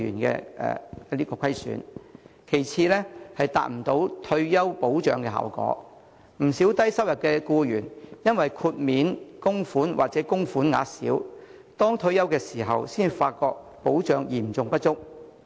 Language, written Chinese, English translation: Cantonese, 其次，強積金達不到退休保障效果，不少低收入僱員因為豁免供款或供款額小，到退休時才發覺保障嚴重不足。, Secondly MPF has failed to achieve the effect of retirement protection . Many low - income employees find only upon retirement that the protection is seriously insufficient since they are exempt from making contributions or the amounts of their contributions are small